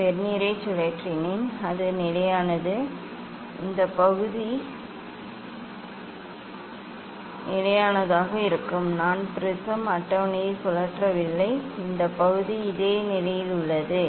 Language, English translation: Tamil, I have rotated Vernier that is constant, this part is constant keeping constant; I am not rotating the prism table this part remains this same position